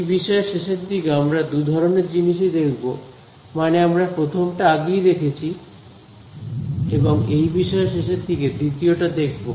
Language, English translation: Bengali, Later on in the course we will come across both I mean we have already seen the first one and we will later on the course come across the second one also